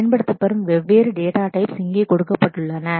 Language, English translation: Tamil, The different data types that are used are given here